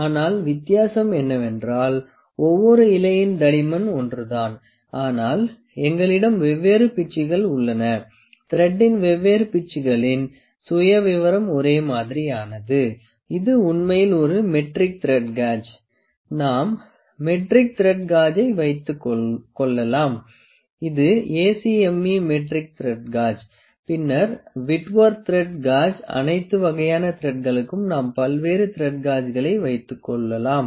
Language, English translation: Tamil, I will like to correct myself it is different pitches, different pitches of the thread the profile is same it is actually a metric, it is metric thread gauge the metric thread gauge, we can have metric thread gauge, acme thread gauge, then whitworth thread gauge for all different kinds of thread we can have different thread gauges